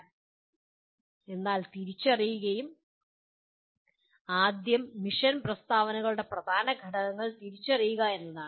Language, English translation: Malayalam, So identify, first thing is identify the key elements of mission statements